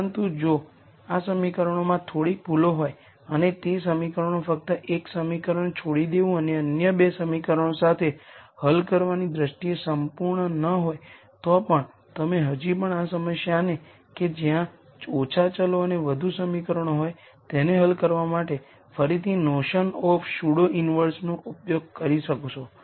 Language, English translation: Gujarati, But even if there are minor errors in these equations and the equations are not really perfect in terms of just drop ping one equation and solving with other 2 equations, you could still use the notion of pseudo inverse again to solve this problem where I have less variables and more equations